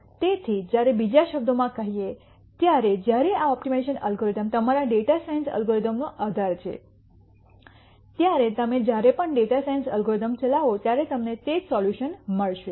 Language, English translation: Gujarati, So, in other words when this optimization algorithm is the backbone of your data science algorithm every time you run the data science algorithm you will get the same solution